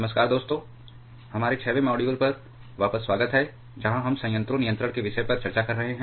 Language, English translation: Hindi, Hello friends, welcome back to our 6th module where you are discussing about the topic of reactor control